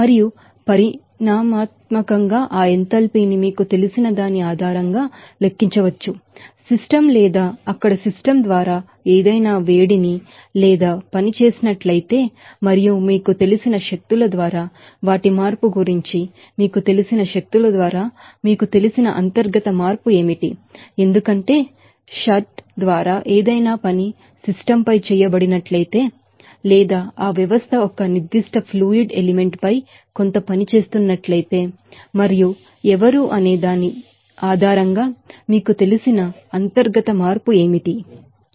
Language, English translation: Telugu, And quantitatively that enthalpy can be calculated based on the you know, what will be the internal you know energy change if any heat or work done by the system or on the system there and also what will be the, you know, through energies you know their change, because of that, if any work by shaft is done on the system or that system is doing some work on a particular fluid element and based on who is how that a flow energy will be changed and based on that internal energy change and flow energy change How that enthalpy can be, you know, calculated or estimated that we have already given discussed in our previous lectures